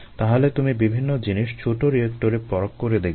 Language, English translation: Bengali, so you screen various things at small, small reactors